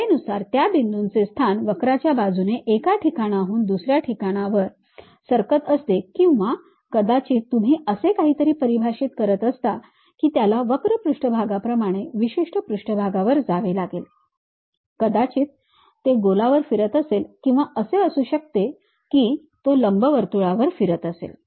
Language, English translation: Marathi, With the time the location of that point moving from one location to another location along the curve or perhaps you are defining something like it has to go along particular surface like a curved surface, maybe it might be rolling on a sphere, it might be rolling on an ellipsoid and so on